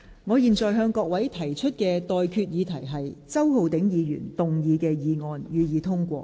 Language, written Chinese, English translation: Cantonese, 我現在向各位提出的待決議題是：周浩鼎議員動議的議案，予以通過。, I now put the question to you and that is That the motion moved by Mr Holden CHOW be passed